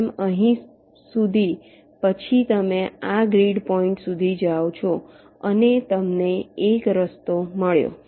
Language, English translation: Gujarati, then you go here up to this grid point and you have got a path